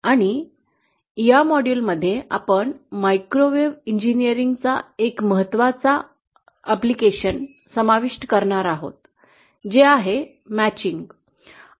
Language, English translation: Marathi, And in this module we are going to cover an important application of microwave engineering, which is matching